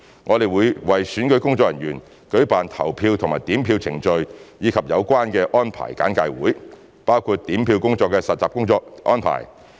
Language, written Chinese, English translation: Cantonese, 我們會為選舉工作人員舉辦投票和點票程序及有關安排的簡介會，包括點票工作的實習安排。, We will conduct briefing sessions on the polling and counting procedures as well as the relevant arrangements for the electoral staff including hands - on practice of counting duties